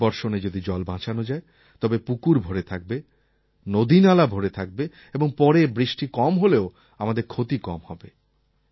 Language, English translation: Bengali, If we manage to save and collect more water during the first rainfall and fill up our ponds, rivers and streams, then even if the rains fail later, our losses will be reduced